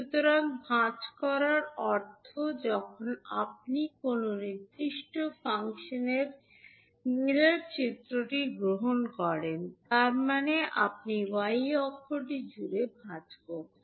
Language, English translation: Bengali, The term convolution means folding, so folding means when you take the mirror image of a particular function, means you are folding across the y axis